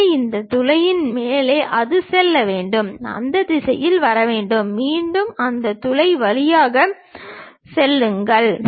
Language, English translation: Tamil, So, over this hole it has to go, come in that direction, again pass through that hole and goes